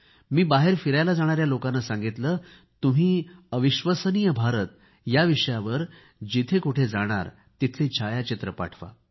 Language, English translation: Marathi, I asked people who were planning to go travelling that whereever they visit 'Incredible India', they must send photographs of those places